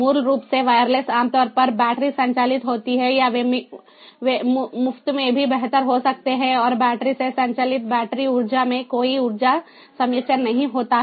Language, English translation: Hindi, wireless, basically, are typically battery operated or they can even be better if free and the battery operated there is no energy harvesting